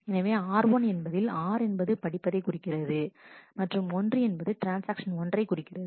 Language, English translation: Tamil, So, r 1 stands for r stands for read, 1 stands for transaction 1